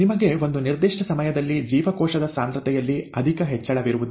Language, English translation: Kannada, You have a certain time when there is not much of an increase in cell concentration